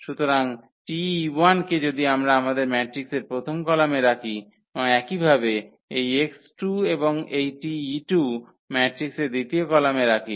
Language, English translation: Bengali, So, T e 1 if we place as a first column in our matrix and similarly this x 2 and then this T e 2 placed in the matrices second column